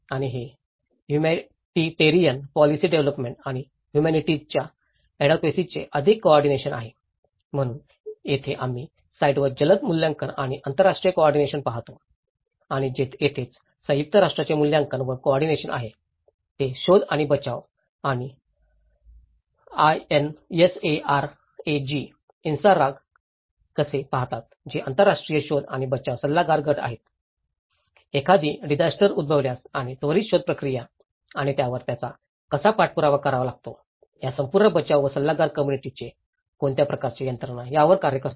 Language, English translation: Marathi, And this is more of the Coordination of Humanitarian policy development and Humanities advocacy so, here we see the rapid assessment and international coordination on site and this is where United nations assessment and coordinate so, they look at the search and rescue and INSARAG which is an international search and rescue advisory group so, in the event of an disaster and immediately the search process and how they have to follow up on it and what kind of mechanisms they have to follow this whole rescue and advisory group will work on it